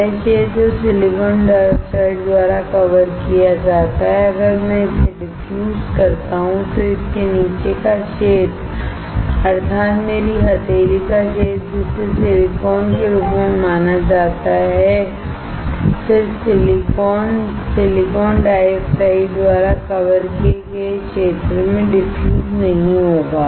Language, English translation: Hindi, The area which is covered by silicon dioxide if I diffuse it then the area below it, that is, my palm area that is considered as silicon, then the silicon will not get diffused in the area covered by silicon dioxide